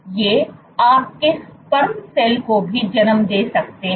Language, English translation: Hindi, These can also give rise to your sperm cell